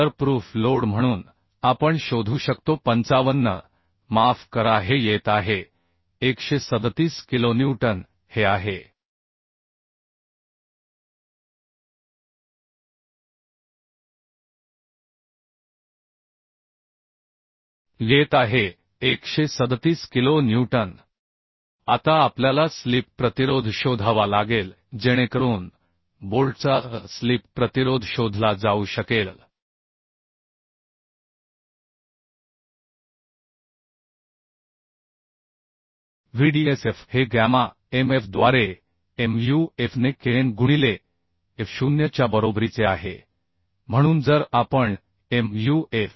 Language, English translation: Marathi, 7 into fub is 800 in this case right So this will be 55 into 10 cube newton or 55 kilonewton this is one So proof load we can find out as 55 sorry this is coming 137 kilonewton this is coming 137 kilo newton Now we have to find out the slip resistance so slip resistance of bolt can be find as Vdsf is equal to Mu f ne kn into F0 by gamma mf so this if we put the value Mu f is considered as 0